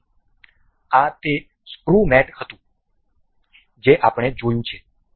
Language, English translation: Gujarati, So, this was the screw mate that we have worked